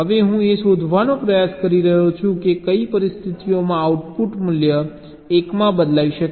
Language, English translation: Gujarati, now i am trying to find out under what conditions can the output value change to one